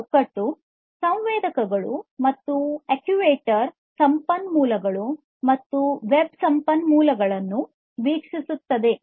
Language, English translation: Kannada, So, this framework views sensors and actuator resources and web resources